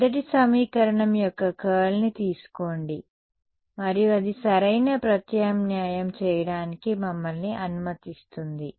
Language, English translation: Telugu, Take curl of first equation and then that will allow us to substitute right